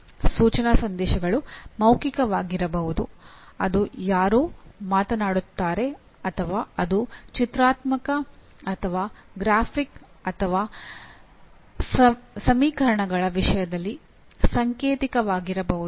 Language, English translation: Kannada, The instructional messages can be verbal that is somebody speaking or it can be pictorial or graphic or symbolic in terms of equations